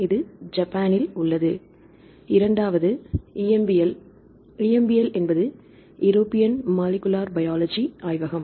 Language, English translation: Tamil, So, this is in Japan and the second is EMBL, EMBL is the European Molecular Biology Laboratory